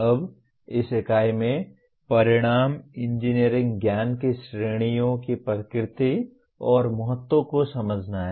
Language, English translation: Hindi, Now, coming to this unit, the outcome is understand the nature and importance of categories of engineering knowledge